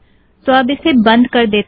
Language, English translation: Hindi, Lets close this